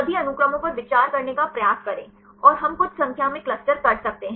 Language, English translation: Hindi, Try to consider all the sequences and we can do some number of clusters